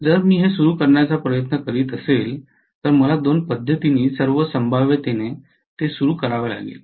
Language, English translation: Marathi, So if at all I am trying to start it, I have to start it in all probability with two of the methods